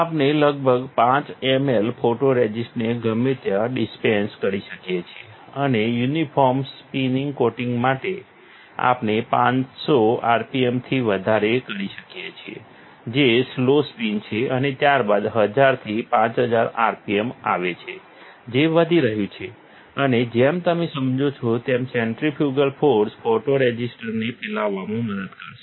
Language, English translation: Gujarati, We can dispense anywhere around 5 ml of photoresist, and to have uniform spin coating we can start with 500 rpm which is slow spin followed by 1000 to 5000 rpm which is ramping up and, as you understand, the centrifugal force will help the photoresist to spread